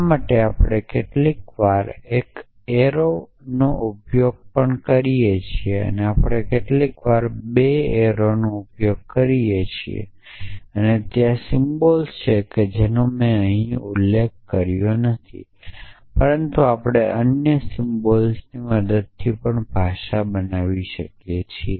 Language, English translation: Gujarati, We also use sometimes an arrow for this we sometimes use 2 arrows and there are the symbols which we I have not mentioned here, but we can build the language using other symbols